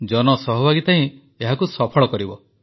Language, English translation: Odia, It is public participation that makes it successful